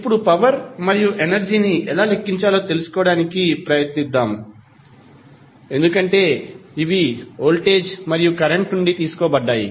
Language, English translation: Telugu, Now, let us try to find out how to calculate the power and energy because these are derived from voltage and current